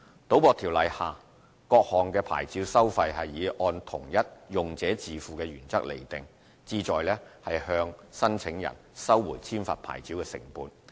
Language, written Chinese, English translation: Cantonese, 《賭博條例》下各項牌照收費是以按同一"用者自付"的原則釐定，旨在向申請人收回簽發牌照的成本。, Fees for various licences under the Gambling Ordinance are charged in accordance with the user pays principle with a view to recovering the cost of licence issuance from applicants